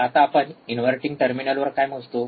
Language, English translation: Marathi, Now what we measure at inverting terminal